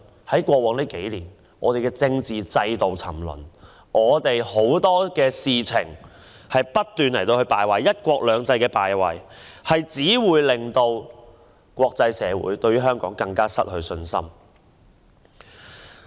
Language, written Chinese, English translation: Cantonese, 在過往數年，我們的政治制度沉淪，在許多方面不斷敗壞，"一國兩制"的敗壞令國際社會對香港更加失去信心。, In the past few years our political system has been sinking into depravity . It had degenerated in numerous aspects . The failure of one country two systems has made the international community further lose their confidence in Hong Kong